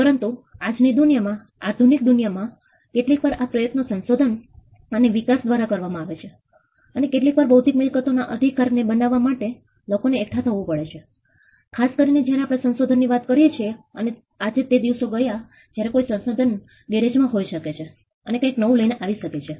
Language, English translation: Gujarati, But in today’s the world in a modern world sometimes this effort comes from research and development sometimes and sometimes it requires many people coming together to create intellectual property right, especially when we are talking about inventions and today gone are the days where an inventor could be in his garage and come up with something new